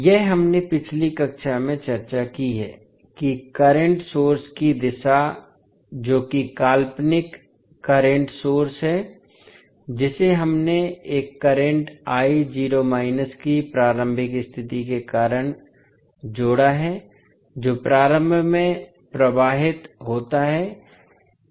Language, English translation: Hindi, This is what we discussed in the previous class that the direction of the current source that is the fictitious current source which we added because of the initial condition of a current I naught flowing through the inductor